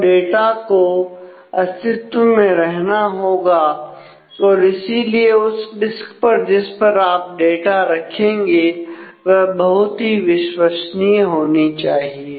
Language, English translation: Hindi, So, data has to exist and therefore, the disk on which we keep the data must be very very reliable